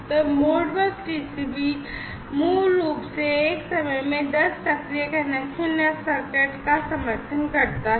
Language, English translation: Hindi, So, Modbus TCP basically supports up to 10 active connections or sockets at one time